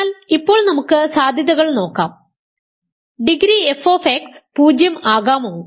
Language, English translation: Malayalam, So, now let us look at the possibilities; can degree f x be 0